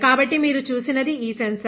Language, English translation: Telugu, So, this sensor you have seen